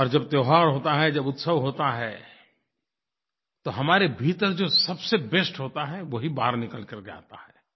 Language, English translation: Hindi, And when there is a festive mood of celebration, the best within us comes out